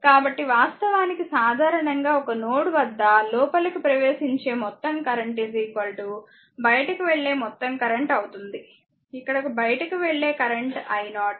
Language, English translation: Telugu, So, outgoing current actually in general that some of the incoming current is equal to some of the outgoing current, here only one out going current i 0